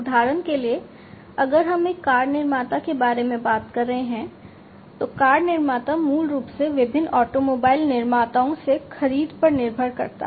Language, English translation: Hindi, For example, you know if we are talking about a car manufacturer, so the car manufacturer basically heavily depends on the purchases from different automobile manufacturers